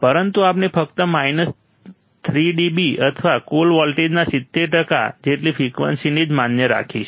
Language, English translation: Gujarati, But we will consider only frequencies that are allowed are about minus 3 dB or 70 percent of the total voltage